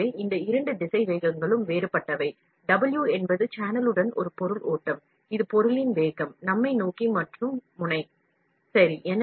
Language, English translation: Tamil, So, these two velocities are different, W is a material flow along the channel, this is velocity of the material us, towards and nozzle, ok